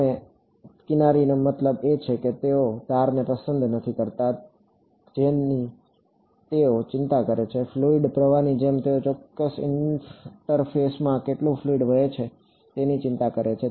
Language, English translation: Gujarati, Their edges I mean they do not like edges what they are concerned about is, like fluid flow they are concerned about how much fluid is flowing across a certain interface